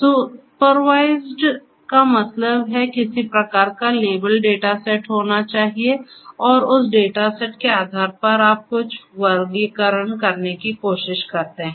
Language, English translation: Hindi, So, supervised, supervised means that there has to be some kind of label data set and based on the data set you are trying to make certain classification